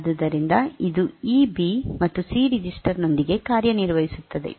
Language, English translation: Kannada, So, it works with this B and C register